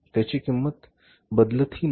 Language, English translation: Marathi, Their cost doesn't change over a period of time